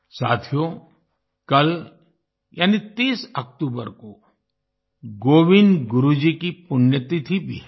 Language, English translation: Hindi, the 30th of October is also the death anniversary of Govind Guru Ji